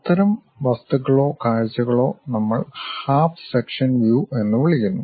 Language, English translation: Malayalam, Such kind of objects or views we call half sectional views